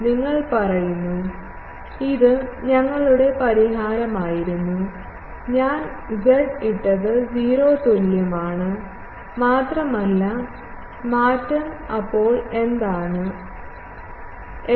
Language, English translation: Malayalam, You say, this was our solution, I have just put z is equal to 0 and only the change is; so, what is ft